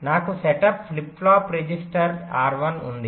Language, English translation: Telugu, lets, i have a setup, flip flop, register r one